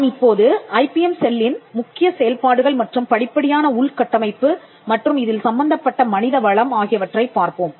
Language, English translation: Tamil, Now the IPM cell, the core functions let us look at the step infrastructure and the human resource involved